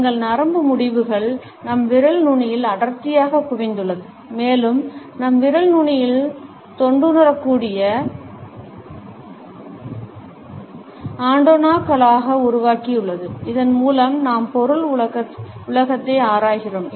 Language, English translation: Tamil, Our nerve endings are densely concentrated in our fingertips, and our fingertips have evolved as tactile antennae with which we explore the material world